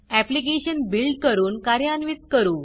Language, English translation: Marathi, Let us now build and run the application